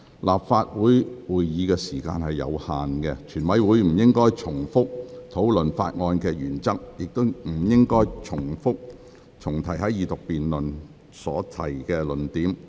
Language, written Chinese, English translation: Cantonese, 立法會會議時間有限，全體委員會不應重複討論法案的原則，亦不應重提在二讀辯論已提出的論點。, The meeting time of the Legislative Council is limited and during the Committee stage Members should not repeat their discussions on the principle of the Bill or any arguments that were already raised in the Second Reading debate